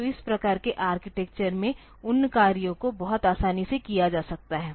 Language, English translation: Hindi, So, those operations can be done very easily in this type of architecture